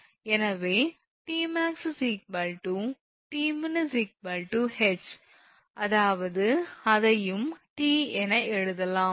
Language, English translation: Tamil, So, T max is equal to T min is H; that means, that we can write that one also T